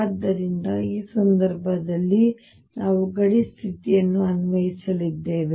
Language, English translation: Kannada, So, in this case also we are going to apply the boundary condition